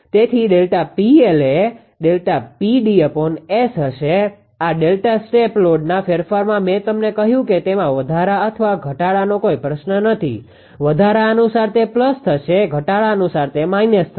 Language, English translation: Gujarati, So, delta P L will be delta P d upon S; this delta step load change I have said no a question of increase or decrease; according to the increase it will plus according to decrease it will be minus